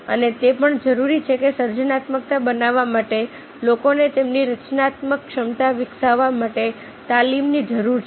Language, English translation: Gujarati, and also it requires that, in order to make the creativity at, requires the training of the people for developing their creative capacity